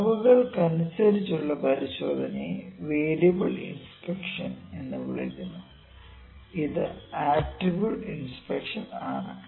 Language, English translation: Malayalam, Now, inspections inspection by measurements is known as variable inspection which is attribute inspection we will do this in control charts